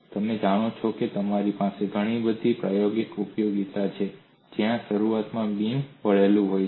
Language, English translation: Gujarati, You have very many practical applications, where initially the beam is bent